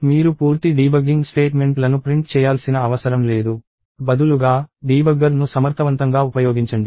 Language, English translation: Telugu, And you do not have to print screen full’s of debugging statements; instead, use the debugger effectively